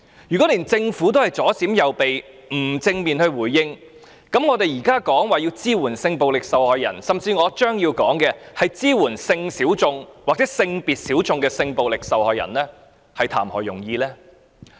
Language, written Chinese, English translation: Cantonese, 如果連政府也左閃右避，不作正面回應，我們現在提出要支援性暴力受害人，甚至我將要談及的支援屬性小眾或性別小眾的性暴力受害人，又談何容易呢？, If even the Government chooses to take an evasive attitude and refuses to give positive responses to these concerns how can we possibly provide support for sexual violence victims as proposed in this motion or as I am going to suggest assist sexual violence victims who are sexual or gender minorities?